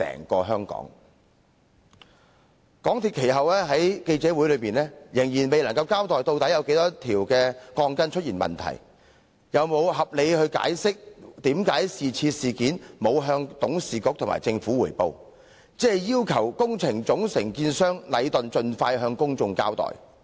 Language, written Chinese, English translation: Cantonese, 其後，港鐵公司在記者會上，仍未有交代問題鋼筋的數目，又沒有解釋為何未曾向董事局和政府匯報有關事件，只要求工程總承建商禮頓建築有限公司盡快向公眾交代。, Later at a press conference MTRCL did not reveal the number of problematic steel bars . It also did not explain why it had not reported the incident to its Board of Directors and the Government and had only asked the main contractor Leighton Contractor Asia Ltd Leighton to give an account to the public as soon as possible